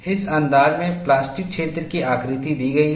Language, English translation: Hindi, The plastic zone shape is given in this fashion